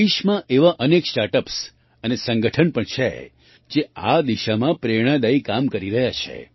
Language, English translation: Gujarati, There are also many startups and organizations in the country which are doing inspirational work in this direction